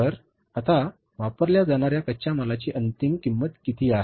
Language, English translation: Marathi, So what is the now final cost of raw material